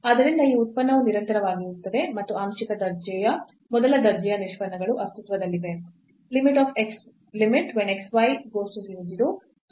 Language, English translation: Kannada, So, this function is continuous and the partial order first order derivatives exist